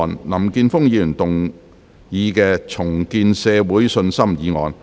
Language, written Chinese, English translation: Cantonese, 林健鋒議員動議的"重建社會信心"議案。, Mr Jeffrey LAM will move a motion on Rebuilding public confidence